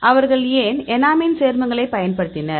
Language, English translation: Tamil, Why they used enamine compounds